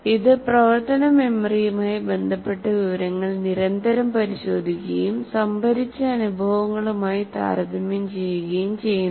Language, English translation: Malayalam, It constantly checks information related to working memory and compares it with the stored experiences